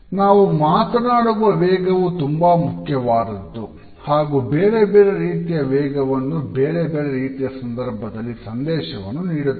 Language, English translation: Kannada, The speed at which we speak is also important we speak at different speeds on different occasions and also while we convey different parts of a message